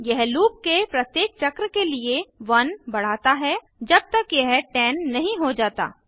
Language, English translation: Hindi, It keeps increasing by 1 for every iteration of the loop until it becomes 10